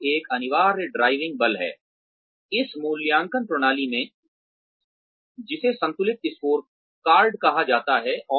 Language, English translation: Hindi, Profit is an essential driving force, in this appraisal system, called the balanced scorecard